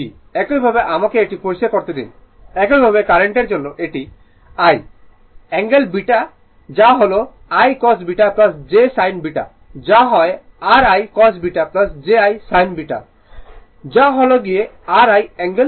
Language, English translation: Bengali, Similarly, let me clear it similarly for current it is I angle beta that is I cos beta plus j sin beta that is your I cos beta plus j I sin beta right this is your I angle beta